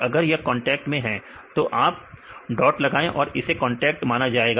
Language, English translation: Hindi, If it they are in contact then you can put a dot we can consider a contact